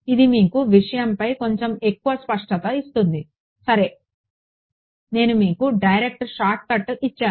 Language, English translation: Telugu, It will give you a little bit more clarity on the thing ok; I have given you the direct shortcut